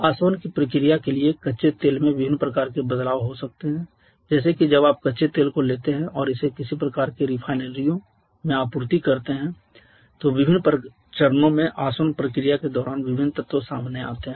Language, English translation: Hindi, Crude oil can have different kind of variations for the process of distillation like when you take the crude oil and supply it to some kind of refineries then during the distillation process in different stages different elements comes up